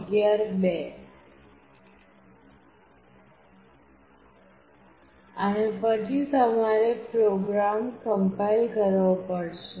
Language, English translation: Gujarati, And then you have to compile the program